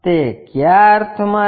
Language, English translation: Gujarati, In what sense